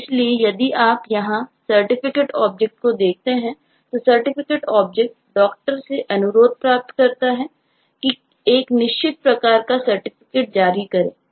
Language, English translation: Hindi, so if you look at the certificate object here, then the certificate object receives a request form the doctor that a certain type of certificate will have to be issued